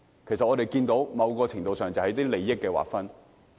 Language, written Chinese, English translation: Cantonese, 其實，我們看到在某程度上是關乎利益的劃分。, In fact we notice that this has something to do with sharing of interests in some ways